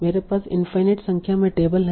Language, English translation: Hindi, So I have some tables, infinite number of tables